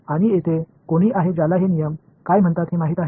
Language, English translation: Marathi, And here is anyone who knows what this law is called